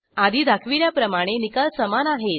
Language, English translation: Marathi, You can see that results are the same as seen earlier